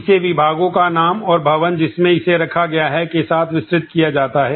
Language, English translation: Hindi, It is expanded with the departments name and the building in which it is housed